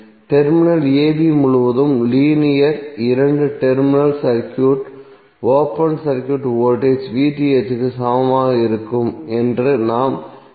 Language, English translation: Tamil, So what we can say that, the linear two terminal circuit, open circuit voltage across terminal a b would be equal to VTh